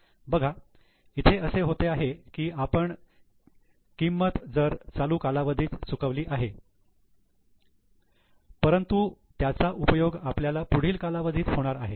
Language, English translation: Marathi, See what is happening is we have incurred the cost in the current period but it will be used in the next period